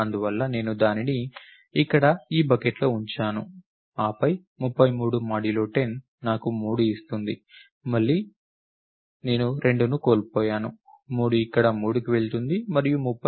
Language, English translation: Telugu, Therefore, I put it in this bucket over here, then percent 10 gives me 3 and again I have missed 2, 3 goes into 3 over here, this is 33 and 65